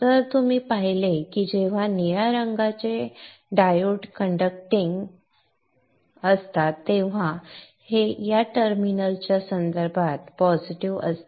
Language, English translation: Marathi, So you saw that when the blue colored diodes are conducting this is positive with respect to this terminal